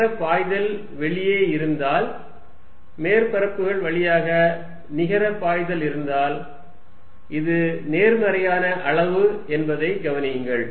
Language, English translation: Tamil, If there is a net flow outside, if there is a net flow through the surfaces, notice that this is positive quantity